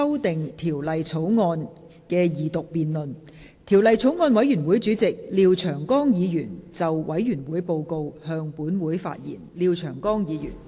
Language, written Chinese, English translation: Cantonese, 代理主席，本人謹以《2016年仲裁條例草案》委員會主席的身份，匯報法案委員會的審議工作。, Deputy President in my capacity as Chairman of the Bills Committee on Arbitration Amendment Bill 2016 I report on the deliberations of the Bills Committee